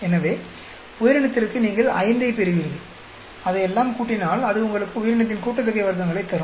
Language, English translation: Tamil, So for organism you will get 5, you add up all of that that will give you the organism sum of squares